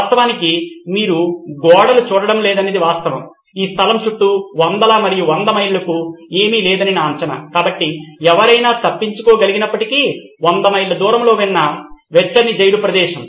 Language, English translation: Telugu, In fact the fact that you don’t see walls, my guess is that there’s nothing for hundreds and hundreds of miles around this place so even if someone would were to escape probably the warmest place that is there for 100’s of miles is the prison